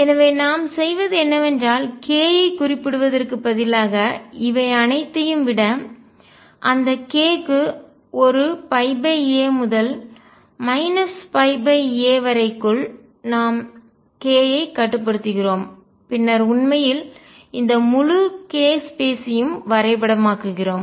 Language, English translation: Tamil, So, what we do is instead of specifying k over all these we restrict our k to within this minus pi by a to pi by a and therefore, then we actually map the entire k space